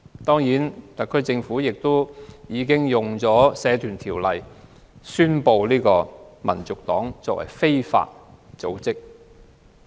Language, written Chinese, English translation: Cantonese, 特區政府已引用《社團條例》，宣布香港民族黨是非法組織。, The SAR Government has invoked the Societies Ordinance to declare that the Hong Kong National Party is an illegal organization